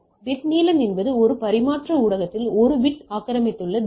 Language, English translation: Tamil, So, bit length is the distance 1 bit occupies in a transmission medium